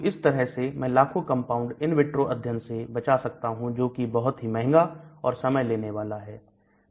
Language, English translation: Hindi, So, thereby I can reduce testing out millions of compound in the in vitro studies which could be very expensive, time consuming and so on